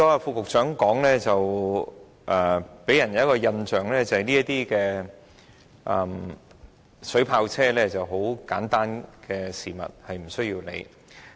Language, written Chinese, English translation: Cantonese, 副局長剛才的發言予人一個印象，就是水炮車是很簡單的事物，不需理會。, The speech given by the Under Secretary just now gave an impression that the matter related to water cannon vehicles is a simple issue and should not be a cause of concern